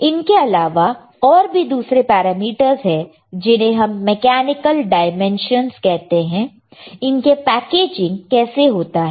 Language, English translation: Hindi, There are other parameters which are called mechanical dimensions right how the packaging is done